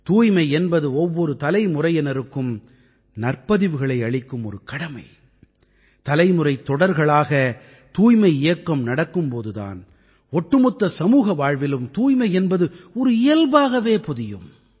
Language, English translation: Tamil, This cleanliness is a responsibility of the transition of sanskar from generation to generation and when the campaign for cleanliness continues generation after generation in the entire society cleanliness as a trait gets imbibed